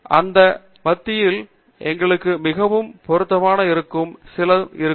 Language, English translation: Tamil, And, among those there will be some which will be very relevant to us